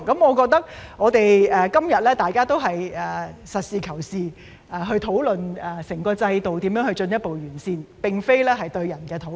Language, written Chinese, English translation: Cantonese, 我覺得大家今天都是實事求是，討論如何進一步完善整個制度，而並非針對個人進行討論。, I think today we are all engaging in pragmatic discussions about how to further improve the whole system rather than discussions about individuals